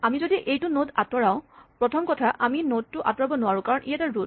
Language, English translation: Assamese, If we remove this node, first of all we cannot remove the node because it is a root